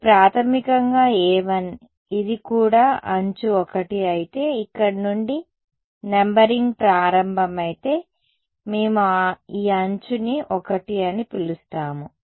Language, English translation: Telugu, So, over here this is going to be basically a 1 if the numbering begins from here if this is also edge 1 right